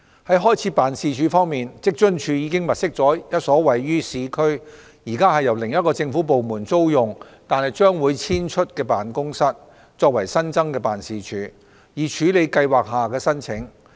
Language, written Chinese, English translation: Cantonese, 在開設辦事處方面，職津處已物色一所位於市區，現時由另一政府部門租用但將會遷出的辦公室，作為新增辦事處，以處理計劃下的申請。, To set up a new office WFAO has identified an office premises in the urban area which is currently rented to another government department but will soon be vacated . The new office will handle applications under the Scheme